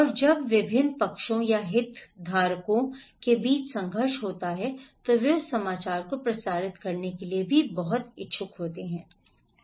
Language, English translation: Hindi, And when there is a conflict among different parties or stakeholders they are also very interested to transmit that news